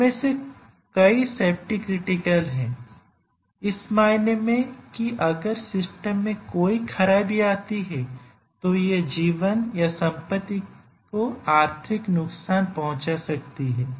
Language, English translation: Hindi, And many of these are safety critical, in the sense that if there is a failure in the system it can cause financial or physical damage